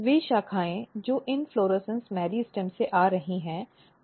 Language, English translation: Hindi, So, if you look the branches which are coming from the inflorescence meristem, they have indeterminate nature